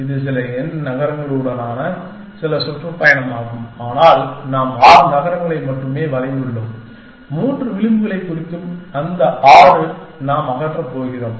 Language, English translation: Tamil, This is some tour with some n cities but, we have drawn only six cities, representing those six, three edges that we are going to remove